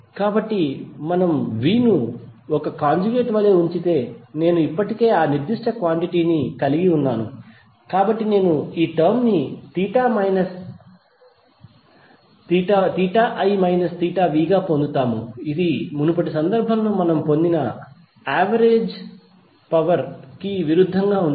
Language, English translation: Telugu, So since we already have that particular quantity derived if we put V as a conjugate and not I is a conjugate we will get this term as theta I minus theta v which would be contradictory to what we derived in previous case for the average power that why we use VI conjugate not V conjugate I